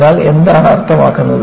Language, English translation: Malayalam, So, that means what